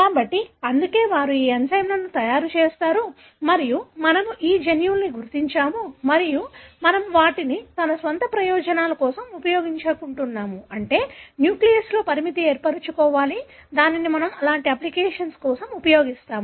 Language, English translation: Telugu, So, that is why they make these enzymes and we identified these genes and we exploited them for our own benefit that is to make the restriction in the nucleases, which we use it for such kind of applications